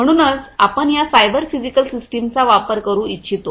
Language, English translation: Marathi, So, this is the cyber physical system